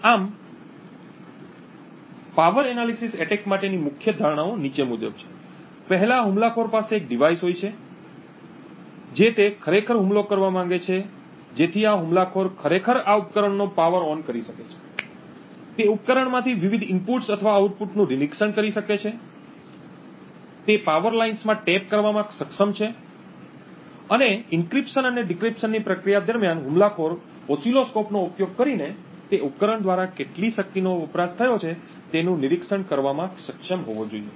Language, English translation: Gujarati, Thus, the major assumptions for a power analysis attack are the following, first the attacker has the device that he wants to actually attack so the attacker can actually power ON this device, he can monitor the various inputs or the outputs from that device and actually he is able to tap into the power lines and during the process of encryption and decryption the attacker should be able to monitor the amount of power consumed by that device using an oscilloscope